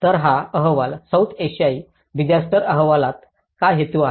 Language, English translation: Marathi, So, this report the South Asian Disaster Report, what does it aim